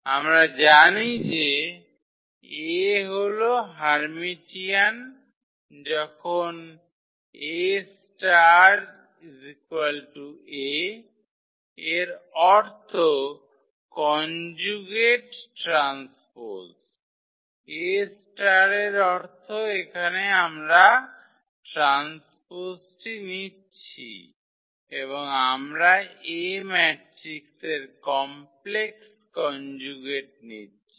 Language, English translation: Bengali, So, we know that A is Hermitian when A star is equal to A meaning the conjugate transpose, A star means here that we are taking the transport and also we are taking the complex conjugate of the matrix A